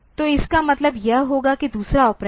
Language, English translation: Hindi, So, this will mean that the second operand